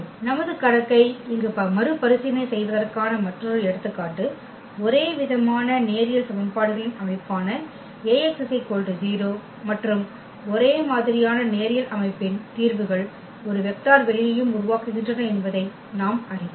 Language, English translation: Tamil, Another example where we will revisit the our problem here A x is equal to 0, the system of homogeneous linear equations and we know that the solutions set of a homogeneous linear system also forms a vector space